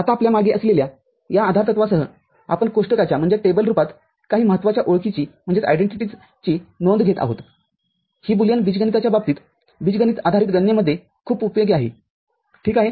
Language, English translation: Marathi, Now, with this postulates behind us we take note of, in the form of a table, some important identities which is very useful in case of this Boolean algebraic algebra based manipulation, ok